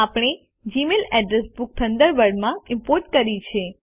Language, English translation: Gujarati, We have imported the Gmail address book to Thunderbird